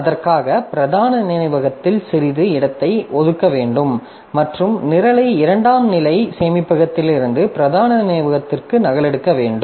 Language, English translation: Tamil, So, for that we have to allocate some space in the main memory and copy the program from the secondary storage to the main memory